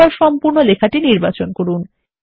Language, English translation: Bengali, Select the entire text now